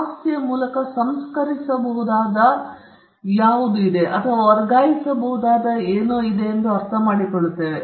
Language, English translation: Kannada, By property we understand as something that can be processed and something that can be transferred